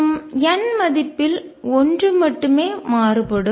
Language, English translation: Tamil, And n varies only by one